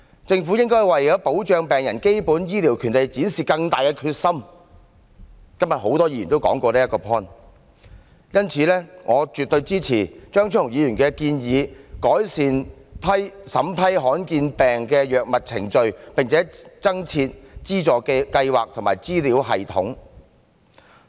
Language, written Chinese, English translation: Cantonese, 政府應該為保障病人的基本醫療權利展示更大的決心——今天多位議員都提到這個 point—— 因此，我絕對支持張超雄議員的建議：改善審批罕見疾病藥物的程序，並增設資助計劃及資料系統。, The Government ought to demonstrate greater determination to protect patients right to essential medical treatment―a point raised by many Members today―and for this reason I fully support Dr Fernando CHEUNGs proposal to improve the appraisal procedure for rare disease drugs and introduce a subsidy scheme as well as an information system